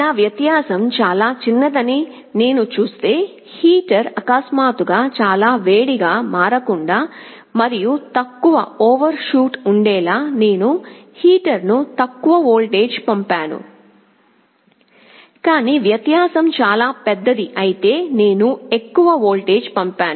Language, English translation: Telugu, If I see my difference is very small I sent a lower voltage to the heater so that the heater does not suddenly become very hot and there is an overshoot, but if the difference is very large I sent a large voltage